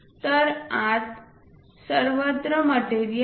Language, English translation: Marathi, So, inside everywhere material is there